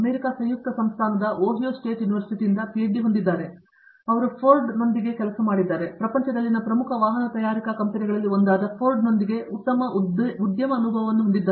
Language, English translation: Kannada, He has a PhD from Ohaio State University in the United States; he has worked with Ford, so he has very good industry experience with one of the leading automobile manufacturing companies in the world